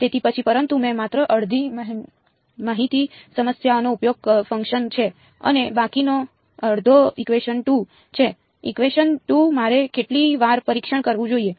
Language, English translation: Gujarati, So, then, but I have used only half the information problem the other half is equation 2; equation 2 how many times should I test